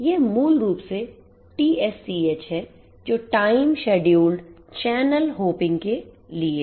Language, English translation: Hindi, So, this is basically TSCH, TSCH basically stands for Time Scheduled Channel Hopping